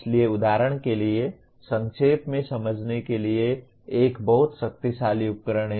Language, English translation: Hindi, So, for example summarizing is a very powerful tool to understand